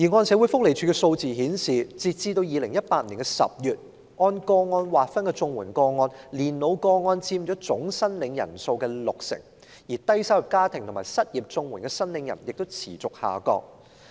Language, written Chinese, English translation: Cantonese, 社會福利署的數字顯示，截至2018年10月，在按個案類別劃分的綜援個案中，年老個案佔總申領人數六成，而低收入家庭及失業綜援申領人的數目亦持續下降。, As indicated by the figures of the Social Welfare Department as at October 2018 among the CSSA cases by nature of case old age cases accounted for 60 % of the total number of applicants with a continuous drop in the number of applicants for CSSA for families with low earnings and unemployment